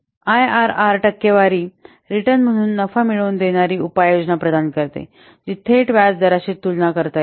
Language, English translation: Marathi, IRR provides a profitability measure as a percentage return that is directly comparable with interest rates